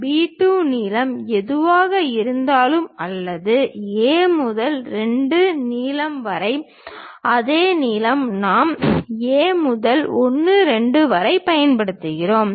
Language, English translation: Tamil, Then whatever B 2 length is there or A to 2 length the same length we use it from A to 1 2